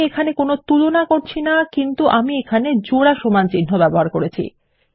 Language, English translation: Bengali, Im not using any comparison here but Ive put a double equals to sign here